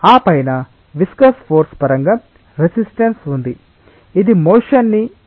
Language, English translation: Telugu, On the top of that there is a resistance in terms of viscous force which tries to inhibit the motion